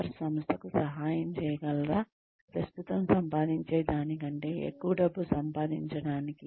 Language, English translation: Telugu, Will they be able to help the organization, make even more money than, it is making currently